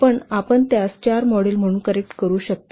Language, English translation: Marathi, So you can correct it as four models